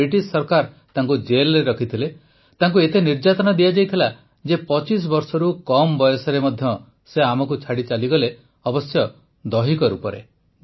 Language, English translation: Odia, The British government put him in jail; he was tortured to such an extent that he left us at the age of less than 25years